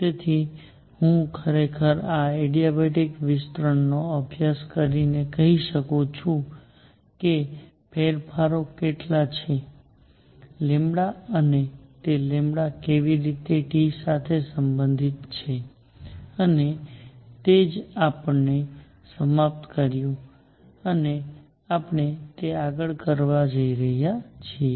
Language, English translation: Gujarati, So, I can actually by studying this adiabatic expansion I can relate how much is the changes is lambda and how is that lambda related to T and that is what we ended and we are going to do it next